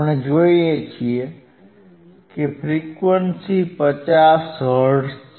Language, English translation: Gujarati, Now what wWe see isthat my frequency is 50 hertz